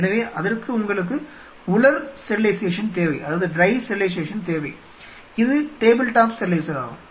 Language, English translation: Tamil, So, for that you need dry sterilization which is a table top sterilizer